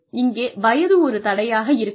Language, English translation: Tamil, And, age is not a barrier